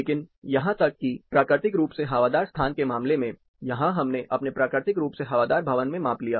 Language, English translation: Hindi, But even in the case of naturally ventilated space, here we took measurement in our naturally ventilated building